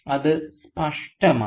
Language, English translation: Malayalam, It is unmistakable